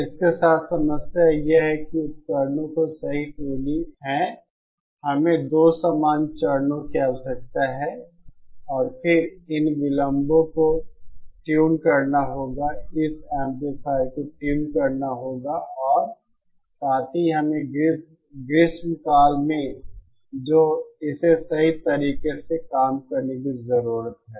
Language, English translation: Hindi, The problem with this is the correct tuning of the devices, that is we need two identical stages and then this delays have to be tuned, this amplifier has to be tuned and also we need to summers which have to be accurately working